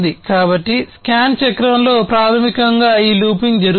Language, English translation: Telugu, So, in the scan cycle, basically this looping happens